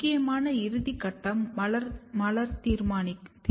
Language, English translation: Tamil, The final thing which is important is the floral determinacy